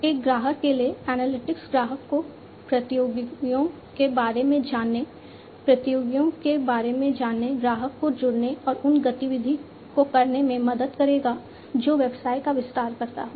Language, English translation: Hindi, For a customer, analytics will help the customer to learn about competitors, learn about competitors, help the customer to join and activity, which expands business